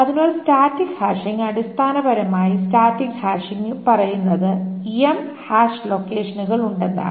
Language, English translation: Malayalam, So static hashing, by the way, static hashing essentially says that there are M hash locations